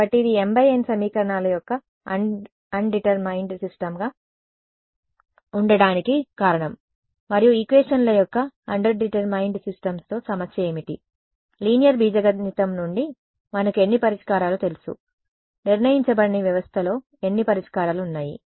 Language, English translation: Telugu, So, this is the reason why this is the underdetermined system of equations and what is the problem with underdetermined systems of equations, how many solutions from linear algebra we know, how many solutions that is under underdetermined system have